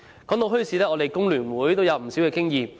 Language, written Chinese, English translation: Cantonese, 談到墟市，香港工會聯合會也有不少經驗。, The Hong Kong Federation of Trade Unions FTU has plenty of experience in organizing bazaars